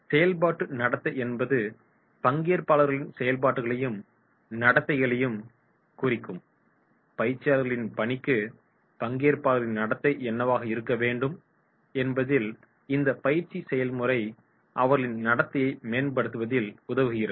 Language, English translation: Tamil, So functional behaviour refers to those actions and behaviour of the participants, what will be the behaviour of the participants that assist in the task of the trainers and help in the promotion of the training process